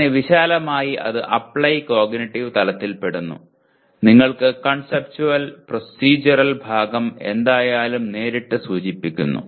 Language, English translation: Malayalam, So broadly it belongs to the Apply cognitive level and you have Conceptual and Procedural part is anyway implied directly